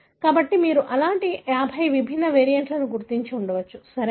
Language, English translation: Telugu, So, you may have identified 50 different such variants, right